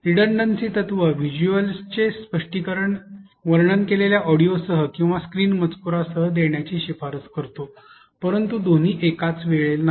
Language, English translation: Marathi, The redundancy principle recommends explaining visuals with narrated audio or on screen text, but not both